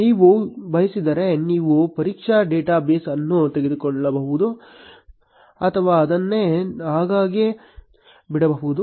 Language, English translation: Kannada, If you want you can remove the test data base or leave it as it is